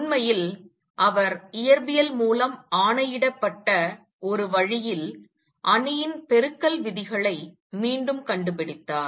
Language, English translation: Tamil, In fact, he rediscovered in a way dictated by physics the matrix multiplication rules